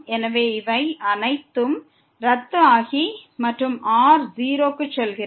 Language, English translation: Tamil, So, these cancel out and goes to 0